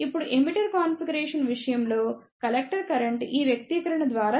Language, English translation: Telugu, Now, the collective current in case of emitter configuration is given by this expression